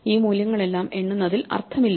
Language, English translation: Malayalam, There is no point in counting all these values